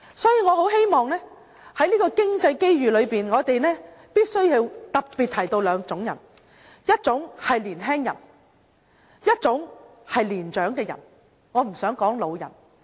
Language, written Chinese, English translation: Cantonese, 因此，在經濟機遇上，我們必須特別提到兩種人，一種是年輕人，一種是年長的人，我不想說是老人。, Therefore in terms of economic opportunities I must specifically talk about two types of persons . The first one is young people . The second is people with experience